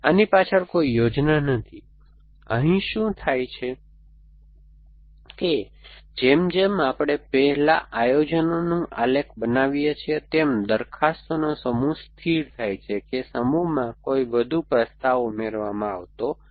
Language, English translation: Gujarati, There is no plan or to get some intuitive feeling behind this, what happens is that as we construct the planning graph first the set of propositions stabilize that no more propositions added to the set